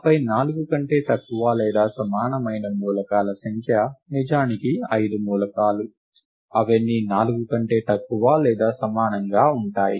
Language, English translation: Telugu, And then the number of elements of value less than or equal to 4 is indeed five elements; all of them are of value less than or equal to 4